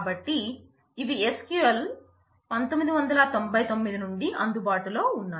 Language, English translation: Telugu, So, this started coming in from SQL 1999